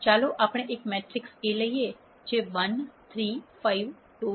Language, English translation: Gujarati, Let us take a matrix A which is 1, 3, 5, 2, 4, 6